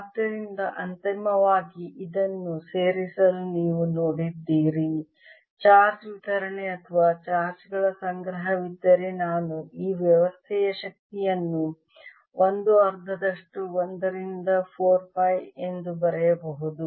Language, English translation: Kannada, so finally, to include this, you seen that aif there is a charges distribution or a collection of charges, i can write the energy of this system as one half is one over four, pi epsilon zero